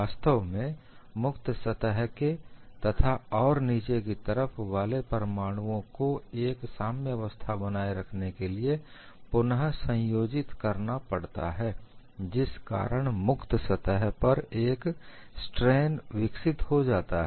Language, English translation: Hindi, In fact, atoms on the free surface and the ones below have to readjust to form an equilibrium thereby developing strain in the material close to the free surface